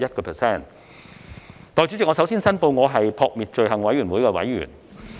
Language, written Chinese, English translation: Cantonese, 代理主席，我首先申報，我是撲滅罪行委員會的委員。, Deputy President I would like to first declare that I am a member of the Fight Crime Committee FCC